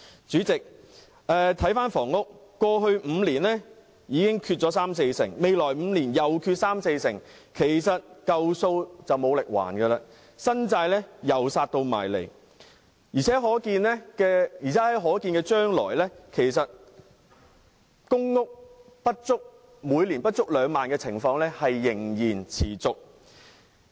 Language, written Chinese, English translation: Cantonese, 主席，在房屋方面，過去5年的供應已短缺三四成，未來5年再短缺三四成，舊債無力償還，新債又再逼近，而且在可見的將來，公營房屋每年供應不足2萬戶的情況仍會持續。, Chairman insofar as housing is concerned there has been a shortfall of 30 % to 40 % in supply in the past five years . There will be again a shortfall of 30 % to 40 % in the next five years . New debts will be incurred while old debts remain not settled